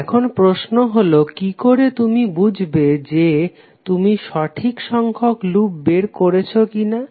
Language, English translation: Bengali, Now the question would be, how you will find out whether you have got the correct number of loops or not